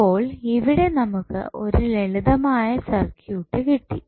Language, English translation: Malayalam, So, now, this is a simplified circuit which you will get from here